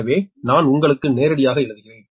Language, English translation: Tamil, so i am writing directly, you try